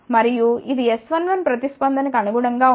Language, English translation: Telugu, And, this is corresponding S 1 1 response